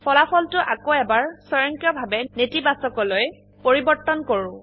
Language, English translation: Assamese, The result again automatically changes to Negative